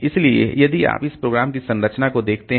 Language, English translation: Hindi, So, this depends on the behavior of the program